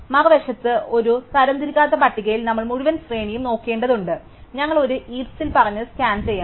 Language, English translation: Malayalam, On the other hand, in an unsorted list we have to look through the whole array and we also said in a heap, we have to scan